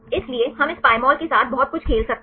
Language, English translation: Hindi, So, we can play around a lot with this Pymol